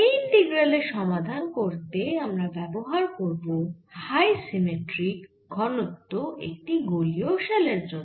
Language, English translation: Bengali, will calculate the potential due to a high symmetric density for spherical shell